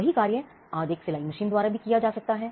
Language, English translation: Hindi, The same could be done today by a sewing machine